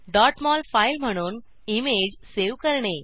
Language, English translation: Marathi, * Save the image as .mol file